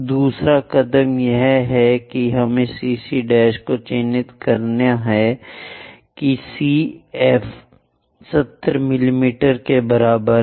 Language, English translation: Hindi, Second step is we have to mark CC prime such that C F is equal to 70 mm C is this point F is that point